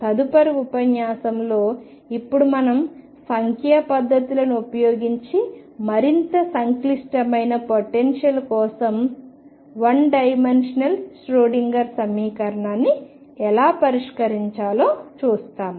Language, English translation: Telugu, And in the next lecture now we are going to do how to solve the one d Schrodinger equation for more complicated potentials using numerical techniques